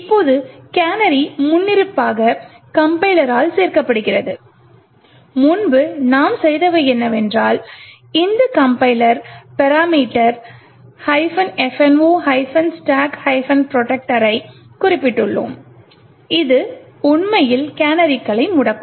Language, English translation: Tamil, Now canaries is added by the compiler by default and what we have done previously was that we have specified this compiler parameter minus F no stack protector which would actually disable the canaries